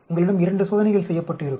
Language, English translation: Tamil, You will have 2 experiments done